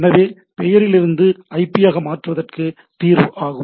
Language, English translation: Tamil, So, name to IP conversion it is the resolve